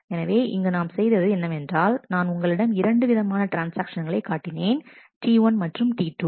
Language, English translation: Tamil, So, if you so, here what I have done is I have shown here the 2 transactions T 1 and T 2